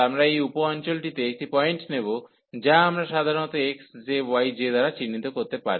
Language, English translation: Bengali, So, we will take a point in this sub region at some point we will take which we can denote by usually x j, y j